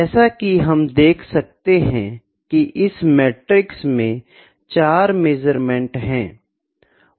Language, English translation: Hindi, We can see in this matrix there are 4 measurements